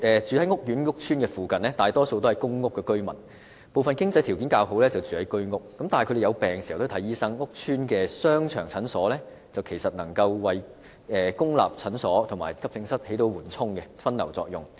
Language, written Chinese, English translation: Cantonese, 住在屋邨商場附近的大部分是公屋居民，部分經濟條件較好的便住在居屋，但他們生病時也要向醫生求診，屋邨商場的診所其實能夠為公立診所和急症室發揮緩衝和分流作用。, While the people who live near the shopping arcades of the housing estates are mostly public housing residents some better - off people live in Home Ownership Scheme flats . When they fall ill they will consult these doctors . Actually the clinics in the shopping arcades of housing estates can act as a buffer and serve the purpose of diverting patients from public clinics and the Accident and Emergency Departments